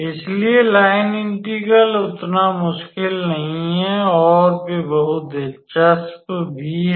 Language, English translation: Hindi, So, the line integrals are not that difficult and they are also very interesting